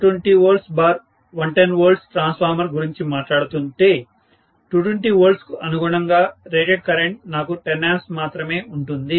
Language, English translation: Telugu, 2 kVA 220 volts by 110 volts transformer, corresponding to 220 volts I have only 10 ampere as the rated current